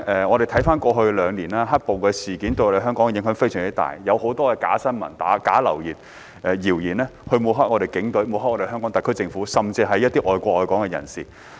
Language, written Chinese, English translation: Cantonese, 我們回顧過去兩年，"黑暴"事件對香港的影響非常大，有很多假新聞、流言、謠言抹黑警隊，抹黑香港特區政府，甚至一些愛國愛港的人士。, Reviewing on the past two years the black - clad violence incident had a great impact on Hong Kong . A large amount of fake news gossip and rumours was disseminated to smear the Police Force the HKSAR Government and even some people who love the country and love Hong Kong